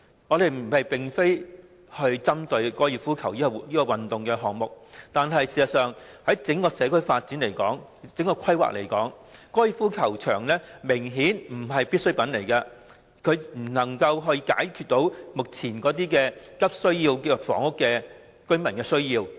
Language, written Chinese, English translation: Cantonese, 我們並非針對高爾夫球這項運動，但就整個社區的發展及規劃而言，高爾夫球場明顯不是必需品，亦未能解決目前急需房屋的市民的需要。, We are not against golf as a sport but in view of the development and planning of the community as a whole a golf course is obviously not a necessity nor can it meet the needs of people who have urgent housing needs